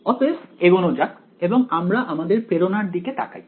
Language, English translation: Bengali, So, let us go ahead so let us look at the motivation over here